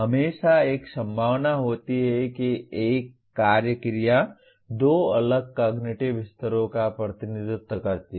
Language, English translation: Hindi, There is always a possibility one action verb representing two different cognitive levels